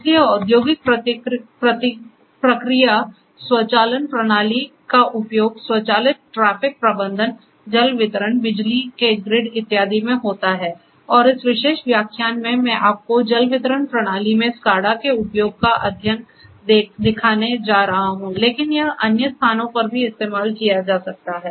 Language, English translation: Hindi, So, industrial process automation systems are used in automatic traffic management, water distribution then, electrical power grids and so on and in this particular lecture, I am going to show you the case study of use of SCADA in water distribution system, but it could be used in other plants also